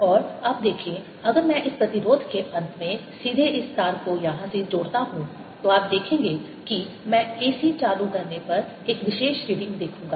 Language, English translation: Hindi, and see now if i connect this wire directly to the end of this resistance here, you will see that i'll see one particular reading when i turn the a c on